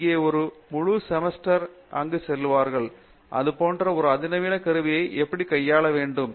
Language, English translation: Tamil, Where, one full semester the student goes through, how to handle this such a sophisticated instrument